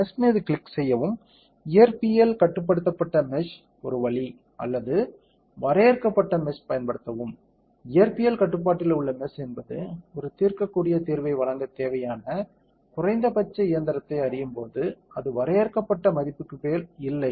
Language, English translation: Tamil, Click on the mesh, physics controlled mesh is one option or use a defined mesh, physics controlled mesh is when it will know the minimum amount of machine that is required to give a; what you call, solvable solution not a above the value that is bounded out that is a solution that is bounded